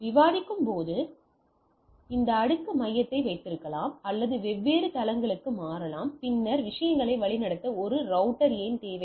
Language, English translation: Tamil, So, as we are discussing we can have this layer hub, or switch for different floor and then a router to route the things